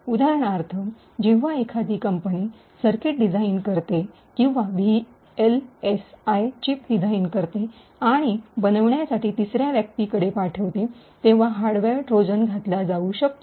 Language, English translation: Marathi, For example, when a company actually designs a circuit or designs a VLSI chip and sends it for fabrication to a third party, hardware Trojans may be inserted